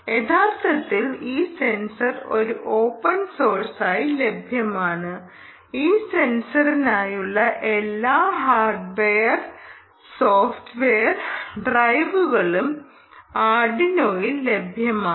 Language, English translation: Malayalam, actually, this sensor is from ah a, it's it's available, an open source and all the required hardware, ah required software drivers for this sensor is available for arduino, ok